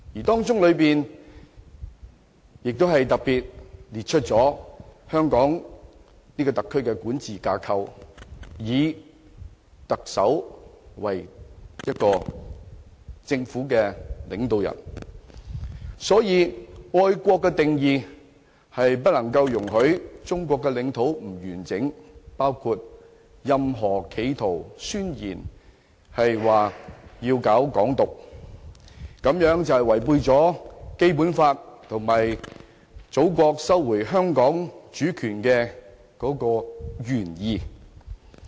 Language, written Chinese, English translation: Cantonese, 當中特別列出香港特區的管治架構，以特首為政府領導人。所以，愛國的定義是不容許中國領土不完整的，包括任何企圖要搞"港獨"的宣言，這是違背了《基本法》及祖國收回香港的原意。, Therefore any attempts to undermine the territorial integrity of China are not allowed within the definition of the love for both the country and Hong Kong including the intention to promote the Hong Kong independence ideas since it contravenes the Basic Law and the original intent of China in recovering Hong Kong